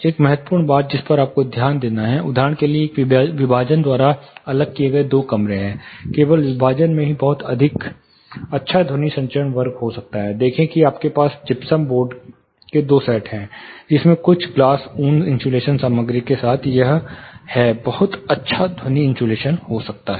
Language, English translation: Hindi, One important thing you have to notice say for example, there are two rooms, separated by a partition simply the partition itself might have a very good sound transmission class, see you have a gypsum board two sets of gypsum board, with some glass wool insulation material inside, it may have a very good sound insulation